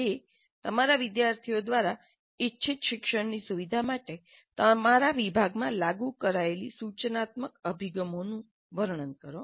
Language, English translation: Gujarati, Please describe the instructional approaches implemented in your department for facilitating desired learning by your students